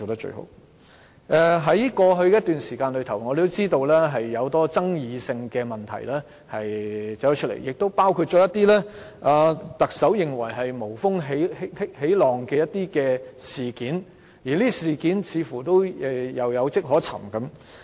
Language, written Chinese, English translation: Cantonese, 在過去一段時間有很多具爭議的問題出現，亦包括一些特首認為是"無風起浪"的事件出現，而這些事件似乎是有跡可尋的。, Over the past many controversial issues have surfaced and also some incidents stirred up for no reasons according to the Chief Executive but there is actually a reason behind the incidents